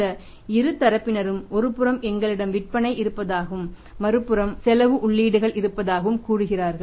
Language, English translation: Tamil, These two sides are say we have sales on the one side and we have the expenses inputs on the other side